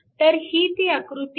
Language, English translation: Marathi, So, this is the figure